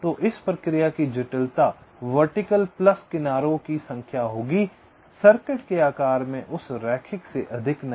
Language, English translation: Hindi, so the complexity of this process will be number of vertices plus number of edges, not more than that linear in the size of the circuit